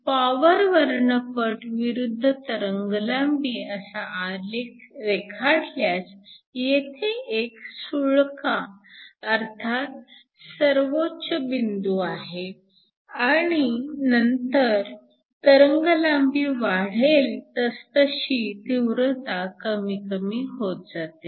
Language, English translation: Marathi, So, If we plot the power spectrum as a function of wavelength, we have a peak and then the intensity decreases at higher wavelengths